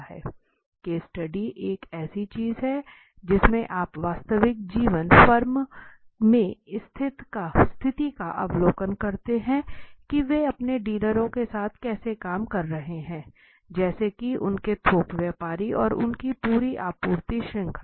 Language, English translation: Hindi, Case study is something in which you go and observe in the real life situation in the firm how actually they are working with their dealers, let say their wholesalers and the entire supply chain